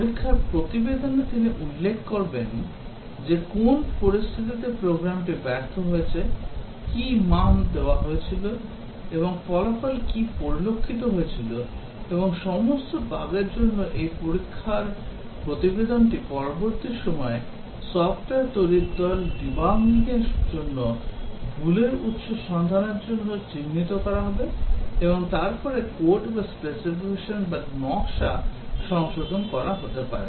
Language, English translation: Bengali, The test report, he would mention that under what conditions it failed, what was the value given and what was the result observed and these test report for all bugs, would be taken up by the development team for later debugging that is locating the source of the error and then correcting the code or may be the specification or designed as the case may be